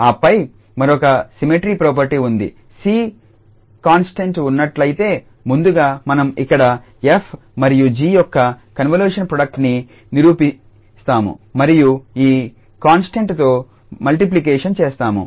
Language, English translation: Telugu, And then there is another kind of associative property that if there is a ca constant that first we here perform the convolution product of f and g and then we multiply this by this constant c